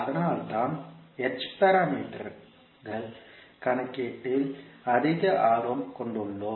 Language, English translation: Tamil, That is why we have more interested into the h parameters calculation